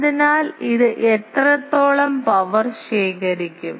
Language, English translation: Malayalam, So, how much power it will collect